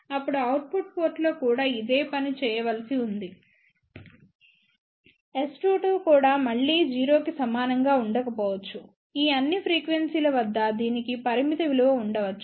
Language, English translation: Telugu, Now, the similar thing needs to be done at the output port also S 2 2 also again may not be equal to 0; at all these frequencies, it may have a finite value